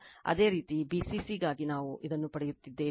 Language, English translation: Kannada, Similarly for bcc we will get it